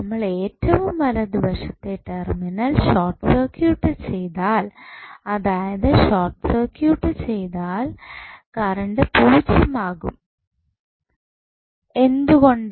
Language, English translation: Malayalam, So, when you short circuit the right most terminal that is if you short circuits then current would be 0, why